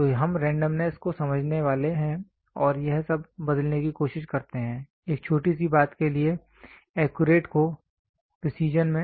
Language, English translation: Hindi, So, we are supposed to understand the randomness and try to convert all this; the accurate one into precision for a smaller thing